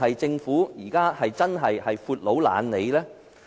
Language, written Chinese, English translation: Cantonese, 政府對此是否真的"闊佬懶理"？, Is the Government really a big boss who does not care about this?